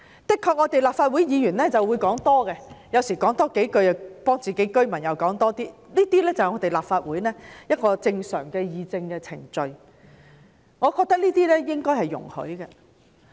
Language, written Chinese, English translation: Cantonese, 的確，立法會議員有時候會說多了，或者為自己的選民多說幾句，這是立法會正常的議政程序，我認為應該容許。, Indeed Members of the Legislative Council would sometimes speak more or say a few more words for their voters which is the normal procedure of political discussions in the Legislative Council and I think it should be allowed